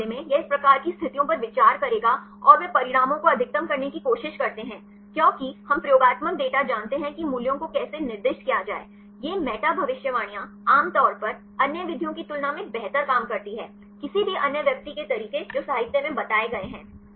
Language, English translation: Hindi, In this case, it will consider this type of situations and they try to maximize the results because we know the experimental data to see how to assign the values, These meta predictions usually works better than other methods; any others individual methods which are reported in the literature